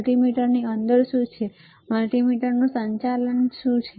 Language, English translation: Gujarati, What is within the multimeter that operates the multimeter